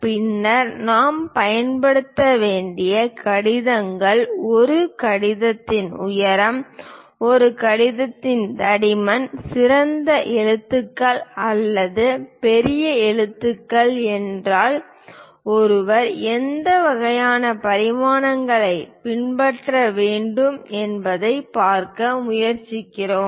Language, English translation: Tamil, And then we covered what are the lettering to be used, what should be the height of a letter, thickness of a letter if it is a lowercase, if it is a uppercase what kind of dimensions one should follow we try to look at